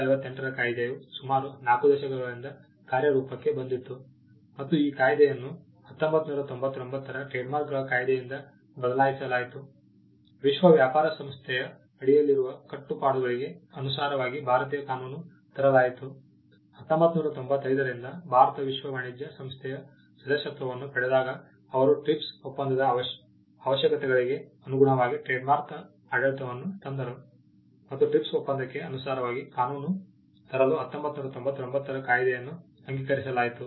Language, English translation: Kannada, In the 1958 act had been in operation for close to 4 decades, and the act was replaced by the 1999 trademarks act to bring the Indian law in compliance with the obligations under the world trade organization; when India became a member of World Trade Organization since, 1995 they brought the trade mark regime in compliance with the requirements of the TRIPS agreement, and the 1999 act was passed to bring the law in compliance with the TRIPS agreement